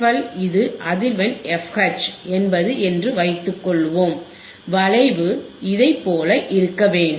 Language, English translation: Tamil, Now suppose this is the frequency f L, this is the frequency f H your curve should be like this right